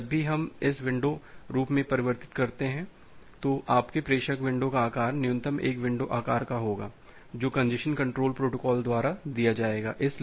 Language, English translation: Hindi, So, whenever we convert this in the window form, your sender window size will be minimum of one window size which will be given by the congestion control protocol